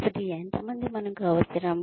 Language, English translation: Telugu, So, how many people, do we need